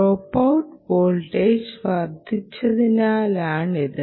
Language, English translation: Malayalam, because the dropout voltage ah has increased